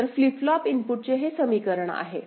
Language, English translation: Marathi, So, this is the equation for the a flip flop inputs